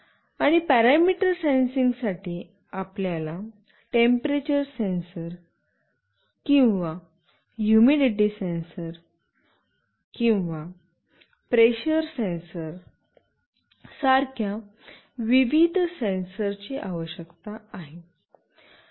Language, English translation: Marathi, And for parameter sensing, you need various sensors like temperature sensor or humidity sensor or pressure sensor